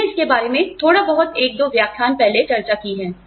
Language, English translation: Hindi, We discussed about this, a little bit in, couple of lectures ago